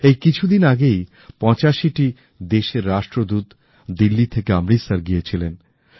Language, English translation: Bengali, Just a few days ago, Ambassadors of approximately eightyfive countries went to Amritsar from Delhi